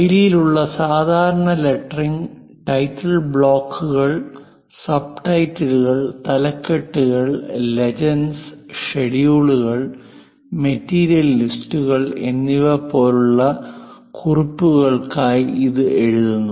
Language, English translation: Malayalam, The typical letter in style involves for writing it for title blocks, subtitles, headings, notes such as legends, schedules, material list